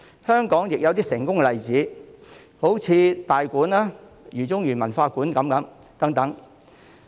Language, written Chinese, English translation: Cantonese, 香港亦有一些成功的例子，例如大館和饒宗頤文化館等。, Some successful examples in Hong Kong include Tai Kwun and Jao Tsung - I Academy